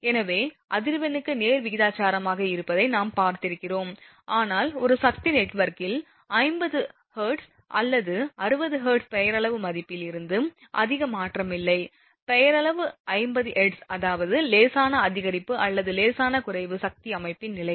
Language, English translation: Tamil, So, we have seen from that which has directly proportional to the frequency, but in a power network 50 hertz or 60 hertz there is not much change from the nominal value, nominal is 50 hertz that means, the slight increase or slight decrease depending on the power system condition